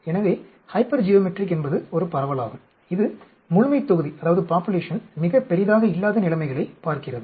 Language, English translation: Tamil, So, Hypergeometric is a distribution, which looks at situations where the population is not very large